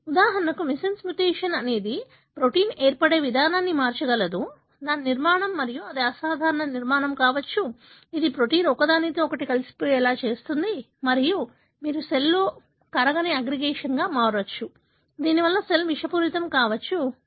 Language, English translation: Telugu, For example, missense mutation could alter the way the protein forms, its structure and that could be an abnormal structure which may make the protein to aggregate with each other and make what you call insoluble aggregation in the cell, which may result in toxicity to the cell